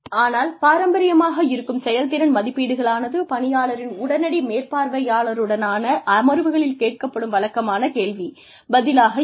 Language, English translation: Tamil, But, traditional performance appraisals are, usual question and answer, sessions, with the immediate supervisor